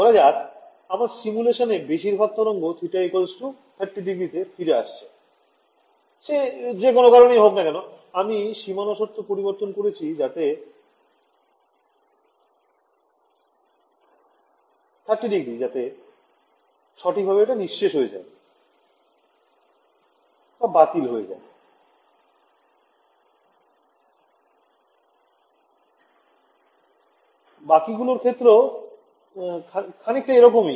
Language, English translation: Bengali, Supposing I know in that my simulation most of my waves are going to come at 30 degrees for whatever reason then, I can change this boundary condition such that 30 degrees gets absorbed perfectly, the rest will have some also, yeah